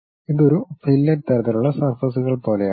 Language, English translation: Malayalam, This might be something like a fillet kind of surfaces